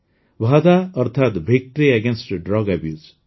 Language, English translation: Odia, VADA means Victory Against Drug Abuse